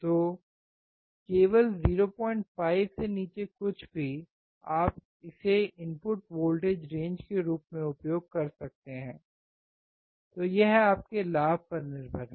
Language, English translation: Hindi, 5 only, you can use it as the input voltage range so, that depends on your gain